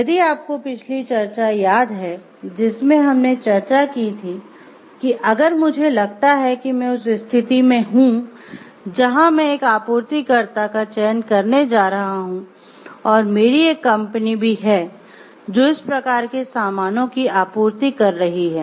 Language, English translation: Hindi, Like in if you remember in the last discussion we discussed about, if I find like I am in that position where I am going to select a supplier and I do also have a company who is supplying this type of goods